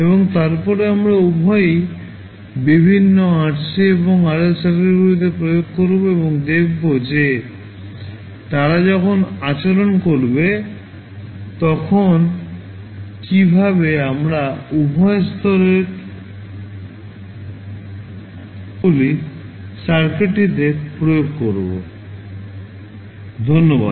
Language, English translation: Bengali, And then we will apply both of them into the various RC and RL circuits and see how they will behave when we will apply either stepper impulse type of sources into the circuit, Thank You